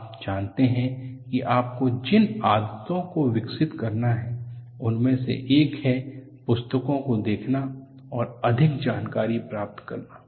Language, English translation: Hindi, One of the habits that you have to develop is, look at, also the books and gain more information